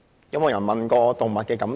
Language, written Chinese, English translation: Cantonese, 有沒有人過問動物的感受呢？, Has anyone ever asked how animals feel?